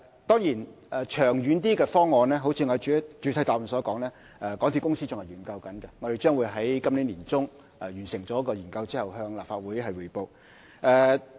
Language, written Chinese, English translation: Cantonese, 當然，較長遠的方案，正如我在主體答覆所說，港鐵公司仍在研究當中，我們將會在今年年中完成研究後再向立法會匯報。, That said just as I have mentioned in the main reply MTRCL is still studying the direction in the longer term currently . We will complete the study by mid - year and then report to the Legislative Council